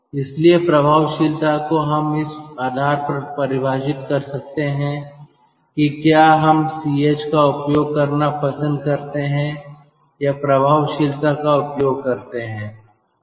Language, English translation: Hindi, so effectiveness we can defined like this: depending on ah, um, our, whether we like to use ch or cc, the effectiveness can be used like this